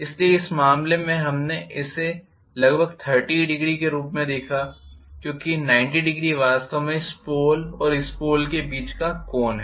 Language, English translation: Hindi, So, in this case we saw it as about 30 degrees because 90 degrees actually is the angle between this pole and this pole,right